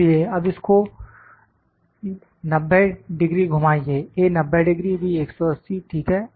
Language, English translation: Hindi, So, now rotate it 90 degree, A 90 degree, B 180, ok